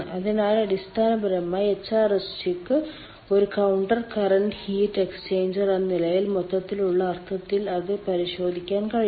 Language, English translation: Malayalam, so basically, hrsg one can look into in a gross sense as a counter current heat exchanger in a counter current heat exchanger